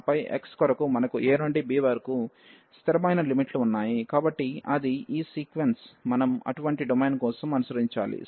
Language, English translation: Telugu, And for then x we have the constant limits from a to b, so that is the sequence, we should follow for such domain